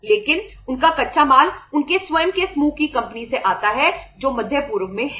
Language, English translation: Hindi, But their raw material comes from their own group company which is in the Middle East